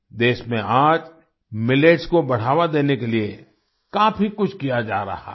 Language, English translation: Hindi, Today a lot is being done to promote Millets in the country